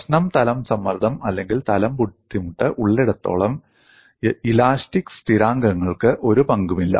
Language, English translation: Malayalam, As long as the problem is plane stress or plane strain, the elastic constant do not play a role